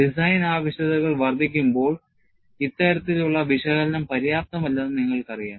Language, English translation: Malayalam, You know, as design requirements expanded, this kind of analysis was not found to be sufficient